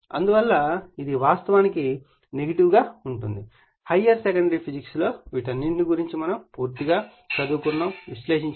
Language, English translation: Telugu, Hence it is actually negative right from your higher secondary physics you have gone all through this right